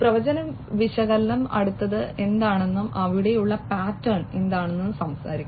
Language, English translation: Malayalam, Predictive analytics talks about what is next, what is the pattern that is there